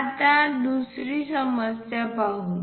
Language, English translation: Marathi, Let us look at the second problem